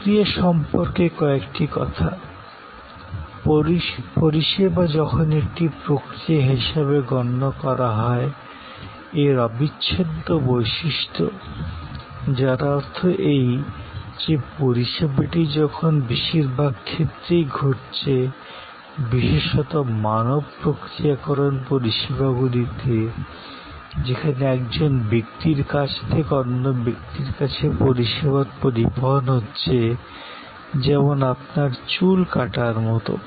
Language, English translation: Bengali, Few points on processes service, when conceived as a process has this inseparability characteristics, which means that as the service is occurring in most cases, particularly in people processing services, service coming from a person to another person like your haircut